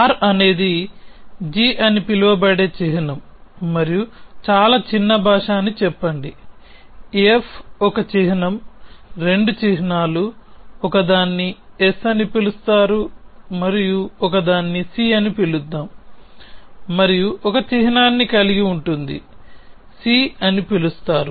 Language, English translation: Telugu, So, let us say that r is a symbol called g and very small language, F is a symbol a 2 symbols, let us say one is called s and one is called c and c contains of one symbol, let us s say is called e